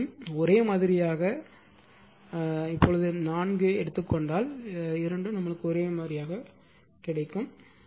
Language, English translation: Tamil, If you take both are same 4 4 then both will be same right